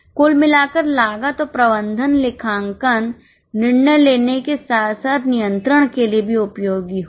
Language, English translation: Hindi, Overall cost and management accounting will be useful for both decision making as well as control